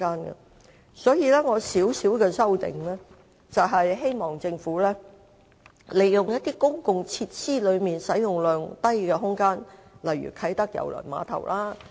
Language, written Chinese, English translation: Cantonese, 我就議案作出輕微修正，就是希望政府能好好利用公共設施內使用量低的空間，例如啟德郵輪碼頭。, I have proposed a very small amendment to the motion in the hope that the Government can make good use of the spaces in those public facilities with low usage such as the Kai Tak Cruise Terminal KTCT